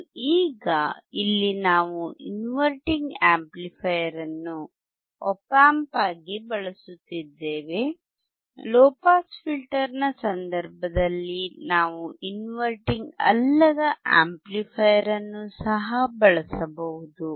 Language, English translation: Kannada, And now here we are using a non we are using inverting of amplifier as an Op Amp we can also use non inverting amplifier in case of the low pass filter